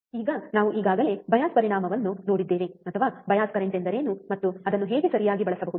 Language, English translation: Kannada, Now we have already seen the effect of bias current, or what is the bias current and how it can be used right